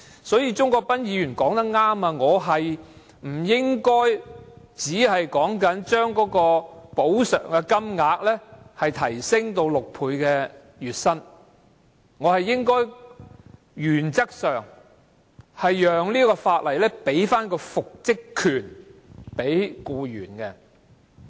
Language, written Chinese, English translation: Cantonese, 所以，鍾國斌議員說得對，我不應只提出將額外款項的款額上限提升至僱員月薪的6倍，更應讓《條例草案》賦予僱員復職權。, Therefore Mr CHUNG Kwok - pan was right in saying that I should not only raise the ceiling of the further sum to six times the employees average monthly wages but should also provide for the employees right to reinstatement in the Bill